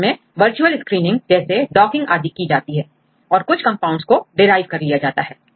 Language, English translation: Hindi, Finally, you can use virtual screening like docking you can do with these compounds and finally you derive some compounds